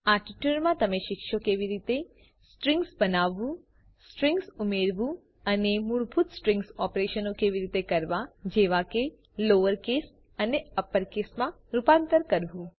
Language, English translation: Gujarati, In this tutorial, you will learn how to create strings, add strings and perform basic string operations like converting to lower case and upper case